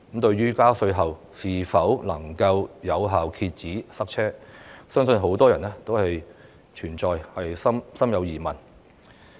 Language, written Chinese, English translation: Cantonese, 對於加稅是否能夠有效遏止塞車，相信很多人也心存疑問。, I believe many people are sceptical as to whether tax hike is an effective means to contain traffic congestion